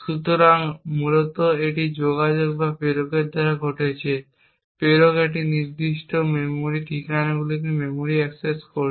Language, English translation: Bengali, So, essentially this is the communication which is happening by the sender, the sender is making memory accesses to these particular memory addresses